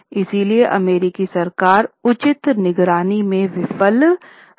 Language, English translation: Hindi, So, government, US government failed in proper monitoring